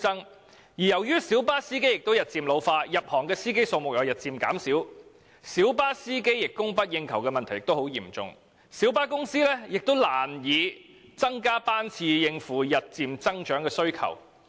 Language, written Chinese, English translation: Cantonese, 此外，由於小巴司機日漸老化，而新入行司機的數目也日漸減少，以致小巴司機供不應求的問題越趨嚴重，小巴公司根本難以增加班次以應付日漸增長的需求。, Furthermore with the ageing of light bus drivers and a decreasing number of new entrants to the trade the shortage of drivers has become increasingly serious making it difficult for light bus companies to increase the service frequency to meet the rising demand